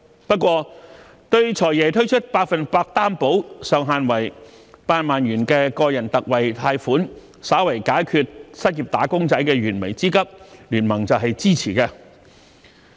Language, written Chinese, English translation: Cantonese, 不過，對"財爺"推出百分百擔保、上限為8萬元的個人特惠貸款，稍為解決失業"打工仔"的燃眉之急，經民聯是支持的。, Yet BPA supports the Financial Secretarys proposal to launch a loan guarantee scheme for individuals which offers 100 % loan guarantee subject to a cap of 80,000 to slightly ease the imminent plights of the unemployed wage earners